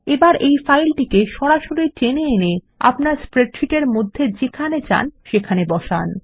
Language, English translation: Bengali, Now drag and drop the image file directly into your spreadsheet wherever you want to place it